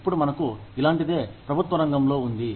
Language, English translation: Telugu, We have something like this, in the government sector, now